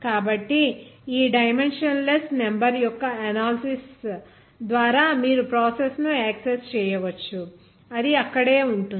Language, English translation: Telugu, So by this analysis dimensionless number you can access the process, it will be there